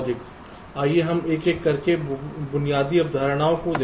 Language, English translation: Hindi, lets look at the basic concepts one by one